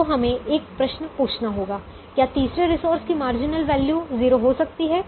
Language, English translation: Hindi, so we have to ask a question: can the marginal value of the third resource be zero